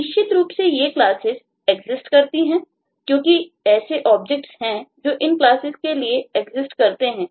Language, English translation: Hindi, so certainly these classes exists because there are objects that will exists for these classes